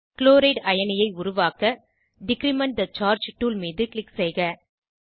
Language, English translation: Tamil, To form Chloride ion, click on Decrement the charge tool